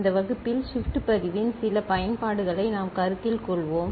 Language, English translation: Tamil, In this class, we shall consider certain Applications of Shift Register